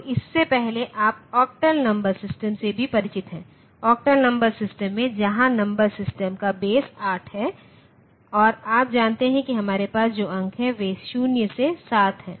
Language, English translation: Hindi, So, before that, you are also familiar with say octal number system, like the octal number system where the base of the number system is 8 and you know that the digits that we have there are 0 to 7